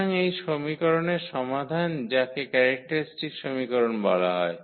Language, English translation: Bengali, So, the solution of this equation which is called the characteristic equation